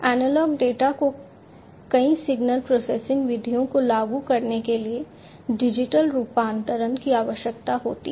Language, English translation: Hindi, The analog data needs digital conversion to apply several signal processing methods